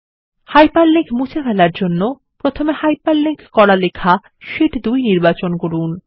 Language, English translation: Bengali, To remove the hyperlink, first select the hyperlinked text Sheet 2